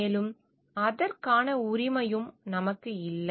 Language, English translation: Tamil, And we do not have the right for it also